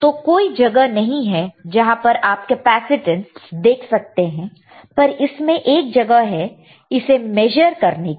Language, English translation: Hindi, No, there is no place there you can see the capacitance, but in this there is a place